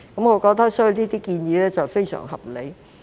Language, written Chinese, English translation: Cantonese, 我覺得這些建議非常合理。, I think that these proposals are very reasonable